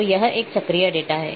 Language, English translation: Hindi, So, it is a cyclic data